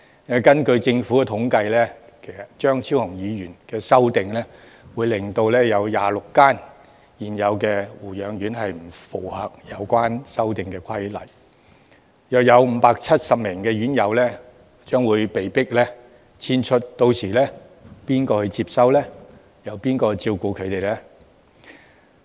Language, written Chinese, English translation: Cantonese, 根據政府的統計，張超雄議員的修訂若獲得通過，會有26間現有護養院不符合修訂後的規定，大約570名院友將被迫遷出，屆時誰可接收和照顧他們呢？, According to government statistics if the amendment of Dr Fernando CHEUNG is passed 26 existing nursing homes would fail to comply with the amended requirement and some 570 residents would have to be removed from those nursing homes . Who will receive and take care of them then?